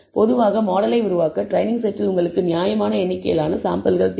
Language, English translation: Tamil, Typically, you need reasonable number of samples in the training set to build the model